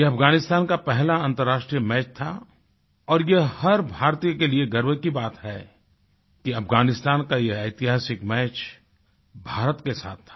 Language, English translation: Hindi, It was Afghanistan's first international match and it's a matter of honour for us that this historic match for Afghanistan was played with India